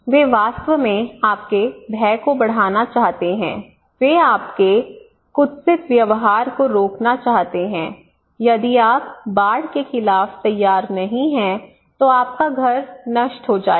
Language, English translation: Hindi, That is they are actually want to increase your fear they want to stop your maladaptive behaviour if you do not prepare against flood then your house will be inundated